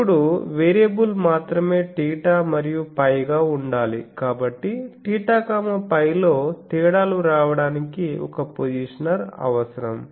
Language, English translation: Telugu, Now only variable needs to be theta and phi, so to be able to vary theta phi a positioner is needed